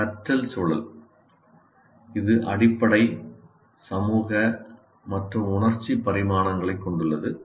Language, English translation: Tamil, Learning environment, it has physical, social, and emotional dimensions